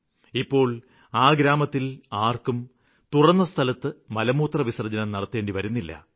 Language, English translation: Malayalam, Now, nobody from this village has to go to toilet in the open